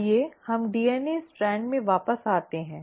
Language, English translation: Hindi, Now let us come back to this DNA strand